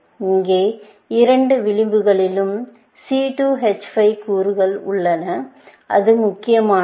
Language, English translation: Tamil, Here, the two edges have the C2 H5 components; obviously, that matters